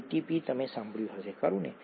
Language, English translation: Gujarati, ATP you would have heard, right